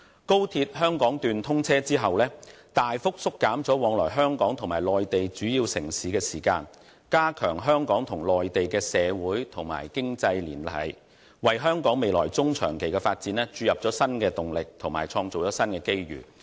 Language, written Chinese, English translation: Cantonese, 高鐵香港段通車後將大幅縮減往來香港與內地主要城市的時間，加強香港與內地的社會和經濟聯繫，為香港未來中、長期發展注入新動力及創造新機遇。, The commissioning of the Hong Kong Section of XRL will link Hong Kong with major Mainland cities with significantly reduced travelling time thereby fostering closer social and economic ties between Hong Kong and the Mainland and injecting new momentum into and creating new opportunities for the future development of Hong Kong in the medium and longer terms